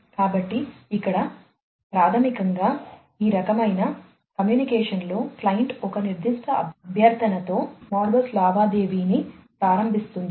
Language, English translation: Telugu, So, basically in this kind of communication the client initiates the Modbus transaction with a particular request